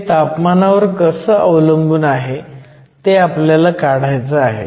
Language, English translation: Marathi, We want to find out the temperature dependence of this term